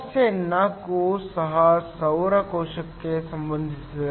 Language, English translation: Kannada, Problem 4 is also related to a solar cell